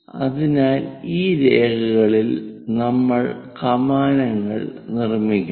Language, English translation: Malayalam, So, on these lines we have to make arcs